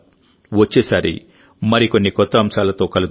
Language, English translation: Telugu, See you next time, with some new topics